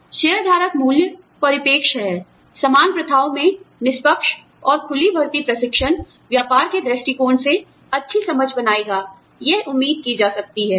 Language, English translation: Hindi, Shareholder value perspective is, it might be expected that, fair and open recruitment training, in common practices, will make good sense, from a business point of view